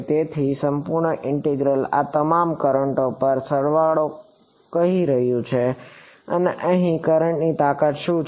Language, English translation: Gujarati, So, this integral is saying sum over all of these currents what is the current strength over here